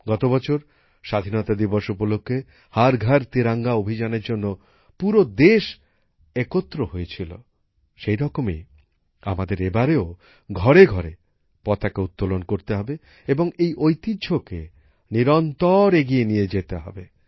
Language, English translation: Bengali, Last year on the occasion of Independence Day, the whole country came together for 'Har GharTiranga Abhiyan',… similarly this time too we have to hoist the Tricolor at every house, and continue this tradition